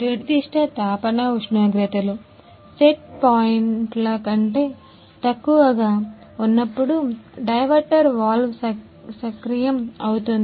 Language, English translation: Telugu, The diverter valve is activated when the particular heating temperatures, goes below the set points ah